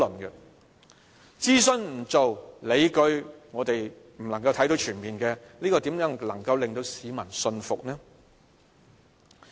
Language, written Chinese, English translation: Cantonese, 不做諮詢、市民看不到全面的理據，怎能夠令到市民信服呢？, Without engaging the public in the process how can the public have the full grasp of the justifications and how can they be convinced?